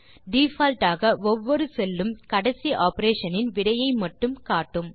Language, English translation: Tamil, By default each cell displays the result of only the last operation